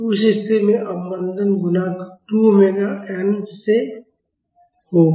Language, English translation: Hindi, So, in that case the damping coefficient will be less than 2m omega n